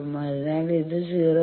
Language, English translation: Malayalam, So, let us say 0